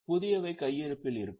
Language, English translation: Tamil, The newer ones will remain in the stock